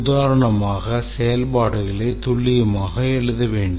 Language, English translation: Tamil, For example, the functions have to be precisely written